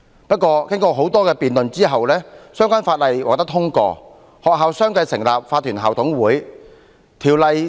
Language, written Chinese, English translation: Cantonese, 不過，經過多次辯論後，《2004年教育條例》獲得通過，至今已15年，學校相繼成立法團校董會。, However the Education Amendment Ordinance 2004 was passed after several rounds of debates . Fifteen years have passed since then and schools have established their Incorporated Management Committees IMCs one after another